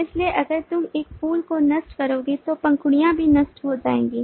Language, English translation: Hindi, so if you destroy a flower, the petals will also be destroyed